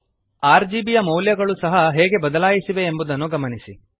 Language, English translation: Kannada, Notice how the values of RGB have changed as well